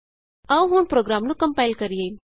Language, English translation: Punjabi, Let us now compile the program